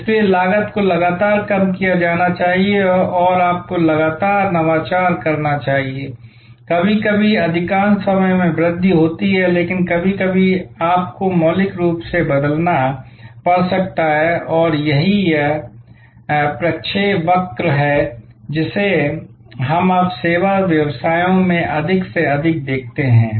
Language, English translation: Hindi, So, cost must be continuously lowered and you must continuously innovate, sometimes most of the time incremental, but sometimes you may have to radically change and this is the trajectory that we see now in service businesses more and more